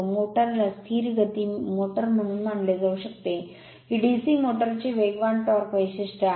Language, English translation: Marathi, The motor can be considered as a constant speed motor, this is a speed torque characteristics of DC motor right